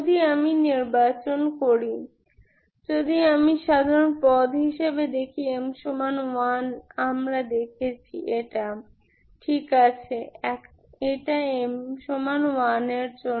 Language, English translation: Bengali, If I choose, if I see this as the general term, m equal to 1 we have seen, this one, Ok this is for m equal to 1